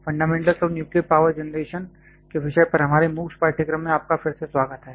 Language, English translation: Hindi, Welcome back to our MOOC's course on the topic of Fundamentals of Nuclear Power Generation